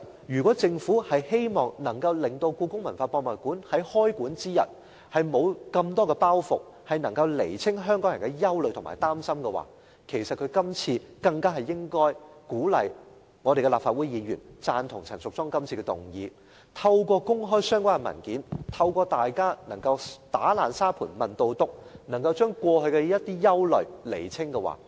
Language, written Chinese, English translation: Cantonese, 如果政府希望故宮館在開館之日沒有太多包袱，能夠釐清香港人的憂慮及擔心，政府更應該鼓勵立法會議員贊同陳淑莊議員今次的議案，透過公開相關的文件，讓大家能夠"打爛砂盆問到篤"，釐清過去的一些憂慮。, If the Government hopes that HKPM will not have to carry too much burden on its opening day it should encourage Legislative Council Members to support Ms Tanya CHANs motion . By making public the relevant documents and allowing Members to ask questions to get to the bottom of the incident some of our worries in the past can be alleviated